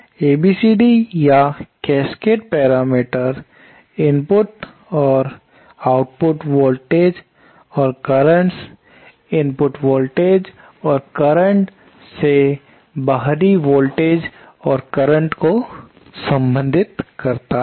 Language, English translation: Hindi, So, ABCD or Cascade parameters relate the input and output voltages and currents, input voltages and currents to the output voltages and currents